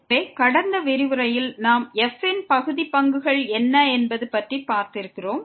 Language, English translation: Tamil, So, in the last lecture what we have seen the partial derivatives of